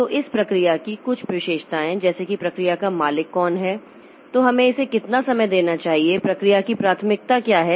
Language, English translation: Hindi, So, some of the attributes of the process like who is the owner of the process, then how much time we should give it, what is the priority of the process